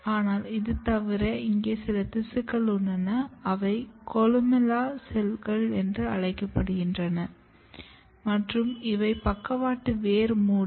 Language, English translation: Tamil, But apart from that you have some tissues here which is called columella cells and these are lateral root cap